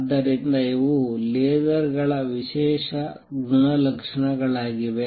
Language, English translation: Kannada, So, these are special properties of lasers